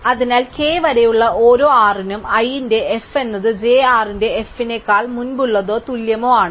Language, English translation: Malayalam, So, for every r up to k, f of i r is earlier than or equal to f of j r